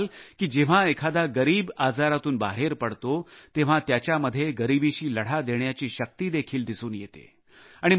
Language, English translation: Marathi, You will see that when an underprivileged steps out of the circle of the disease, you can witness in him a new vigour to combat poverty